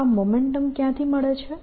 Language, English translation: Gujarati, where does this momentum come from